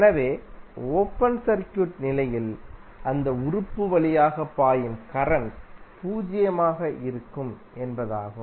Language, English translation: Tamil, So, it means that under open circuit condition the current flowing through that element would be zero